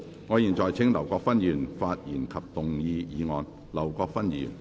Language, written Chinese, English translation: Cantonese, 我現在請劉國勳議員發言及動議議案。, I now call upon Mr LAU Kwok - fan to speak and move the motion